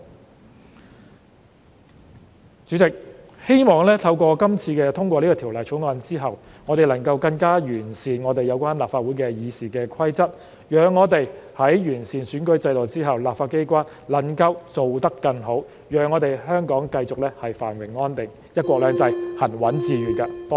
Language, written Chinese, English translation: Cantonese, 代理主席，希望在今次通過《條例草案》後，我們能更加完善立法會的《議事規則》，讓我們在完善選舉制度之後，立法機關能做得更好，讓我們香港繼續繁榮安定，"一國兩制"行穩致遠。, Deputy President I hope that upon the passage of the Bill we can improve the Rules of Procedure of the Legislative Council so that after the electoral system has been improved the legislature can do a better job Hong Kong can continue to enjoy prosperity and stability and one country two systems can be implemented steadfastly and successfully